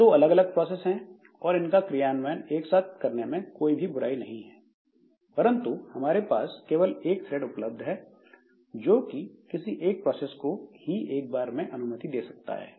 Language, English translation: Hindi, So, that way, so these two as such there is no harm in making them to proceed simultaneously, but since only one thread is available, only one of the processes will be allowed to proceed